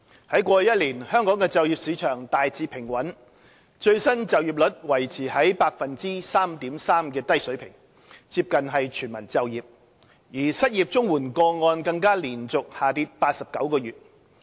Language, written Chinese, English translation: Cantonese, 在過去1年，香港的就業市場大致平穩，最新失業率維持在 3.3% 的低水平，接近全民就業，失業綜援個案更連續下跌89個月。, Over the past year the employment market in Hong Kong has been generally stable with the latest unemployment rate remaining low at 3.3 % a level close to full employment and the number of unemployment cases under the Comprehensive Social Security Assistance Scheme has even decreased for 89 consecutive months